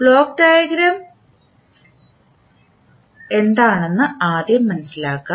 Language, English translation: Malayalam, So now let us first understand what is block diagram